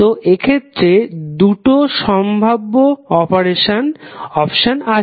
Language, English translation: Bengali, So in this case there are two possible options